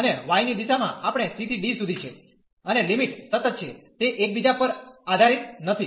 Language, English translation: Gujarati, And in the direction of y we are wearing from c to d and the limits are constant they are not depending on each other